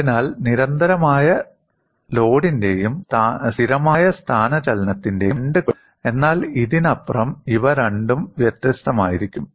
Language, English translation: Malayalam, So, both the cases of constant load and constant displacement would satisfy this, but beyond this, these two will be different